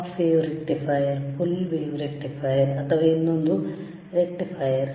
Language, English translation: Kannada, hHalf a rectifier, full a rectifier, is there or another rectifiers